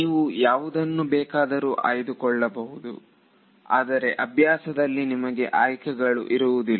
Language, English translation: Kannada, You can choose any way you want, but in practice you will not get to choose anywhere you want